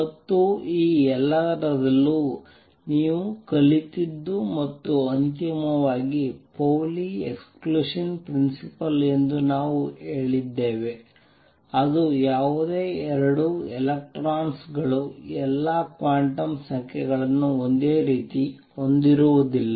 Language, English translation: Kannada, And what you learned in the all this and finally, we also said something called the Pauli Exclusion Principle exist that says is that no 2 electrons can have all the quantum numbers the same